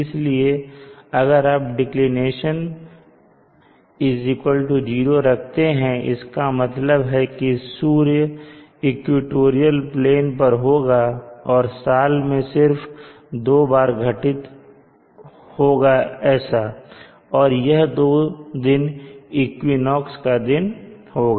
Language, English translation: Hindi, So if you set declination is 0 which means the sun is along the equatorial plane and this occurs only on two days in a year and that and those days are the equinoxes days